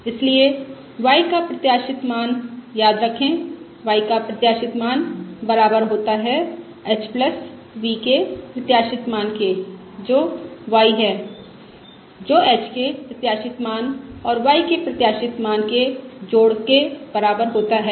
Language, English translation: Hindi, Therefore, the expected value of y remember the expected value of y equals expected value of h plus v, which is y, which is equal to the expected value of h plus the expected value of v